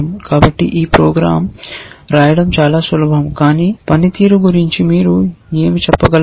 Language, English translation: Telugu, So, this program of course, is very easy to write, but what can you say about this performance